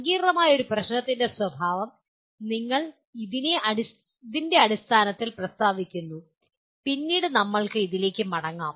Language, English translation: Malayalam, We just state the nature of a complex problem only in terms of this and we will come back to that at a later date